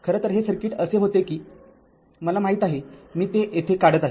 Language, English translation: Marathi, Actually, it was it was it was circuit was like this know, I am drawing it here